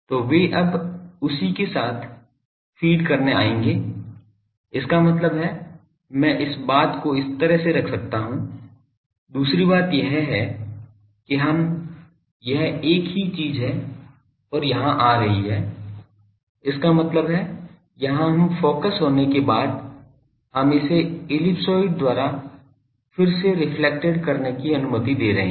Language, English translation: Hindi, So, they will come to feed now by that also; that means, I can put it the this thing similarly, the other thing here that this is a suppose a same thing is coming and here; that means, here we after getting focused we are allowing it to get again reflected by the ellipsoid